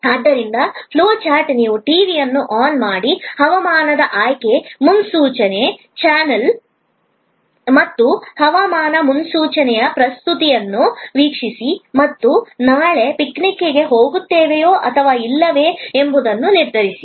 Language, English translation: Kannada, So, the flow chart is you turn on the TV, select of weather forecast channel and view the presentations of weather forecast and decide whether we will go and for the picnic tomorrow or not